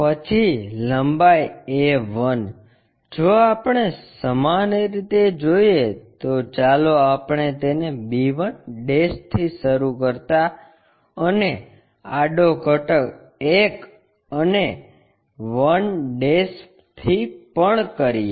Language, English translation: Gujarati, Then length a 1, if we are similarly let us do it from b 1' also horizontal component 1 and 1'